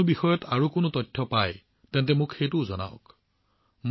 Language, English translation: Assamese, If you get any more information on any other subject, then tell me that as well